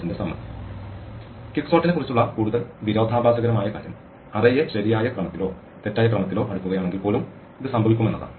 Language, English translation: Malayalam, The even more paradoxical thing about quicksort is that this would happen, if the array is sorted either in the correct order or in the wrong order